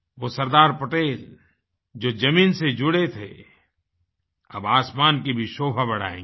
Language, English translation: Hindi, Sardar Patel, a true son of the soil will adorn our skies too